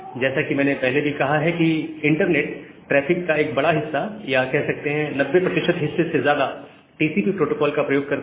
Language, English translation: Hindi, So, as I have mentioned that a huge amount or even more than 90 percent of the internet traffic, it actually use a TCP protocol